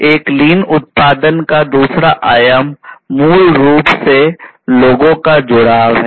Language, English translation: Hindi, The other the another dimension of a lean production is basically people engagement